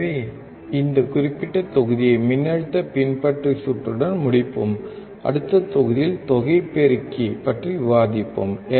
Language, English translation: Tamil, So, we will just complete this particular module with the voltage follower circuit, and in the next module, we will discuss about summing amplifier